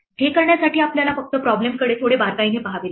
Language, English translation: Marathi, To do this we just have to look a little closer at the problem